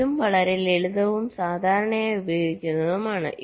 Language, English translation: Malayalam, this is also quite simple and commonly used